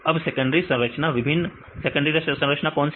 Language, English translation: Hindi, Now, secondary structures what are the various secondary structures